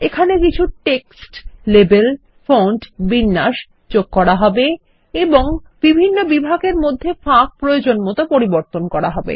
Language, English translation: Bengali, We will add some text labels, fonts, formatting and adjust the spacing among the various sections